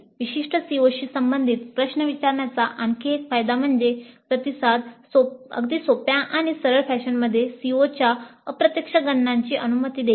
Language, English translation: Marathi, And another advantage of asking questions related to specific CEOs is that the responses will allow the indirect computation of attainment of CBOs in a fairly simple and straight forward fashion